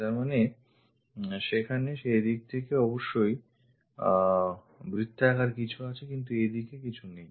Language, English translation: Bengali, That means, there must be something like circle in that direction, but not in that direction